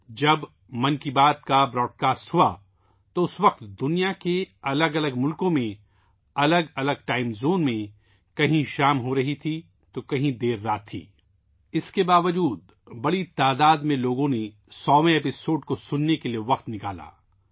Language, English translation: Urdu, When 'Mann Ki Baat' was broadcast, in different countries of the world, in various time zones, somewhere it was evening and somewhere it was late night… despite that, a large number of people took time out to listen to the 100th episode